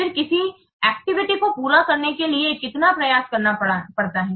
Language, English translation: Hindi, Then how much effort is required to complete an activity